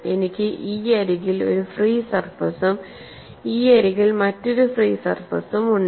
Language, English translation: Malayalam, 2; I have one free surface on this side; I have another free surface on this side